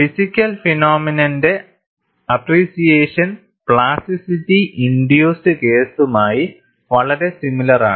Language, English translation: Malayalam, The physical appreciation phenomena is very similar to plasticity induced case